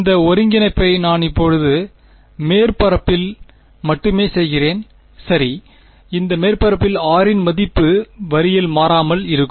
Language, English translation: Tamil, What will this integral over I am now doing this integral only on the surface right, on this surface the value of r is constant right on the line rather